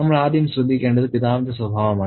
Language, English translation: Malayalam, The first thing that we note is the temperament of the father